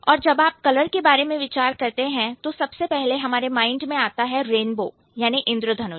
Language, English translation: Hindi, And when you are thinking about color, the first thing that strikes to your mind is a rainbow, right